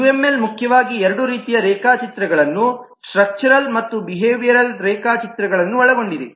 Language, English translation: Kannada, uml majorly contains two types of diagrams: structural and behavioral diagrams, and we have seen variety of structural and behavioral diagrams